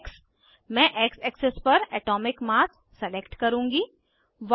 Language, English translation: Hindi, X: I will select Atomic mass on X axis